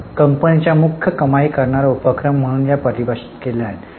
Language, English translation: Marathi, So, these are defined as principal revenue generating activities of the enterprise